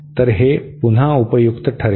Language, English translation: Marathi, So, this will be again helpful